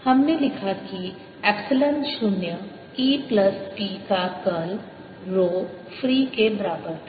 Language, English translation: Hindi, we wrote: curl of epsilon, zero e plus p, was equal to rho free